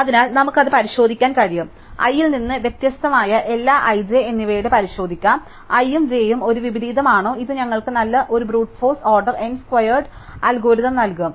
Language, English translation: Malayalam, So, we can just check that, we can just check for every i and every j which is different from i, whether i and j is an inversion and this will give us a Brute force order n squared algorithm